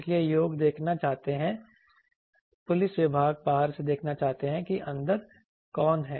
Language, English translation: Hindi, So, people want to see police department want to see from outside who is there inside